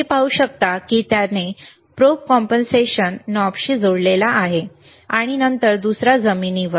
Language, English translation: Marathi, yYou can see he has connected to the probe compensation knob then other one to the ground